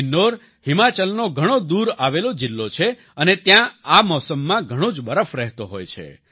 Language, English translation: Gujarati, Kinnaur is a remote district of Himachal and there is heavy snowfall in this season